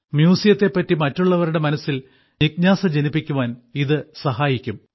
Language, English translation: Malayalam, By doing so you will also awaken curiosity about museums in the minds of others